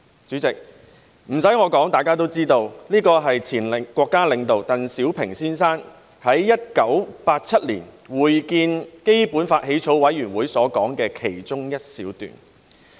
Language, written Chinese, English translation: Cantonese, "主席，不用我說，大家也知道這是前國家領導鄧小平先生在1987年會見香港特別行政區基本法起草委員會時所說的其中一小段話。, President I do not need to tell Members as they also know that this is an extract from the speech made by the former State leader Mr DENG Xiaoping when he met with the Drafting Committee for the Basic Law of the Hong Kong Special Administrative Region in 1987